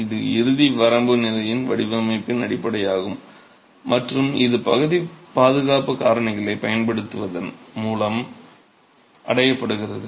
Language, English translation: Tamil, That's the basis of the design at the ultimate limit state and this is achieved by the use of partial safety factors